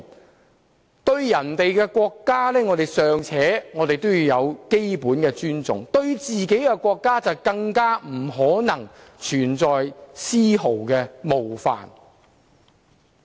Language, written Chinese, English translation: Cantonese, 我們對別人的國家尚且要有基本的尊重，對自己的國家就更不能存在絲毫冒犯。, While we have to show basic respect for others countries we must not offend our own in the slightest way